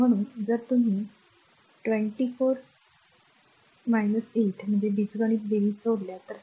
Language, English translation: Marathi, So, if you add these 24 minus 8 18 algebraic sum